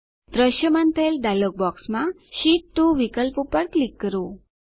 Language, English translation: Gujarati, In the dialog box which appears, click on the Sheet 2 option